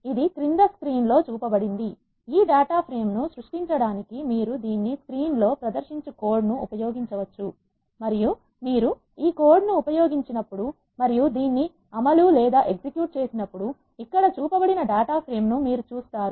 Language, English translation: Telugu, To create this data frame, you can use the code that is displayed in screen this one and when you use this code and execute this, you will see the data frame which is shown here